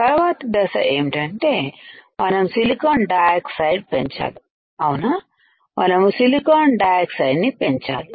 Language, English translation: Telugu, Next step is we have grown silicon dioxide correct we have grown silicon dioxide